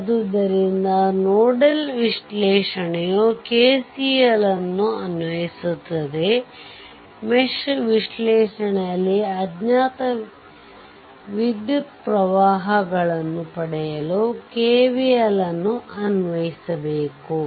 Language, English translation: Kannada, So, nodal analysis also we have seen we have applied KCL, for mesh analysis we go for KVL to obtain the unknown currents